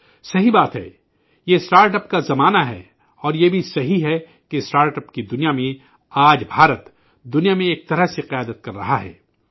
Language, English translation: Urdu, It is true, this is the era of startup, and it is also true that in the world of startup, India is leading in a way in the world today